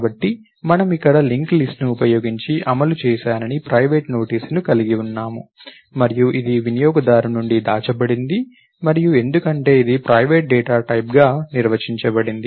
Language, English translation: Telugu, So, we have here, private notice that I have done an implementation using link list and this is hidden from the user and because, it is defined as a private data type